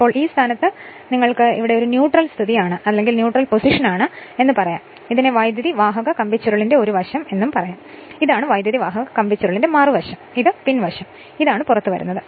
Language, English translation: Malayalam, Now, at this position we will find so you can say it is a neutral position at that time this is called one side of the coil, this is other side of the coil, this is the back side, and this is your it is coming out